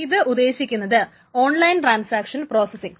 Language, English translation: Malayalam, And this stands for online transaction processing